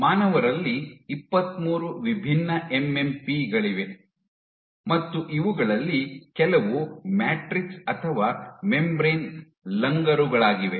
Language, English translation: Kannada, So, in human there are 23 different MMPs some of these are matrix or membrane anchored